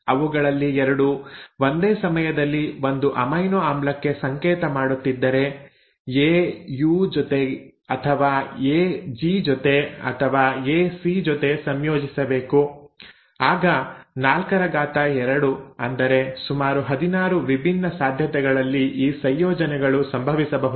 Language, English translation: Kannada, Let us say if 2 of them at a time are coding for one amino acid, A can code with U or A can combine with G, or A can combine with C, then you will have 4 to the power 2, about 16 different possibilities in which these combinations can happen